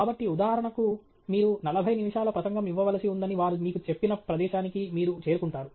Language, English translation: Telugu, So, for example, you arrive at some place where originally, they told you that you are supposed to give a forty minute talk